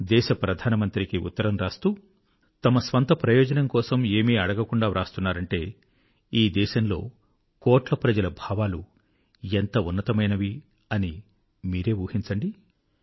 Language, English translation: Telugu, Just imagine… a person writing to the Prime Minister of the country, but seeking nothing for one's own self… it is a reflection on the lofty collective demeanour of crores of people in the country